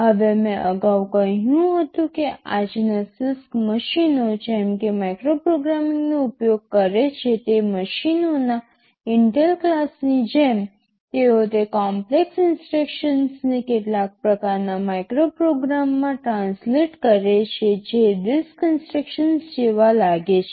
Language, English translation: Gujarati, Now I told earlier that even the CISC machines of today like the Intel class of machines they use micro programming, they translate those complex instructions into some kind of micro programs simpler instructions whichthat look more like the RISC instructions